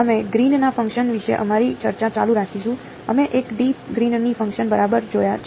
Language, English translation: Gujarati, We will continue our discussion about Green’s function; we have looked at 1 D Green’s functions ok